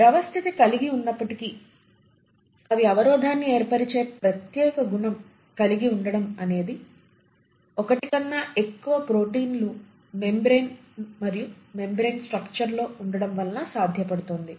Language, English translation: Telugu, And despite being fluidic in nature they maintain selective barrier properties because of multiple proteins which are present, interspersed in the membrane structure